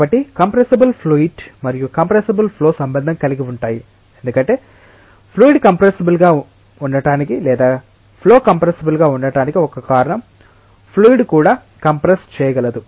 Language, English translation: Telugu, So, compressible fluid and compressible flow are related because of course, one of the reasons of being a fluid compressible or being a flow compressible is because of the fluid itself is compressible